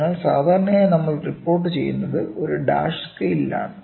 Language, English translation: Malayalam, So, generally what we report is a dash scale